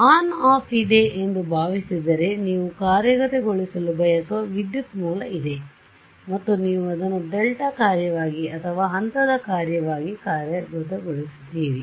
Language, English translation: Kannada, Supposing there is an on off I mean there is a current source you want to implement and you implement it as a delta function or as a step function